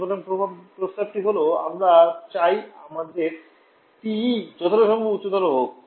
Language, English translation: Bengali, So, the recommendation is we want our TE to be as high as possible